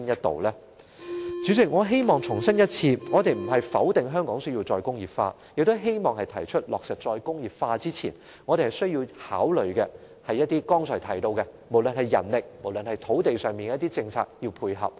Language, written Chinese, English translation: Cantonese, 代理主席，我重申我們並非否定香港須實現"再工業化"，而是希望提出落實"再工業化"前，須考慮剛才提到的人力和土地方面的政策應否互相配合。, Deputy President I reiterate that we do not deny that re - industrialization must be implemented in Hong Kong . We just hope that prior to the implementation of re - industrialization consideration should be given to whether the manpower and land policies mentioned just now should complement each other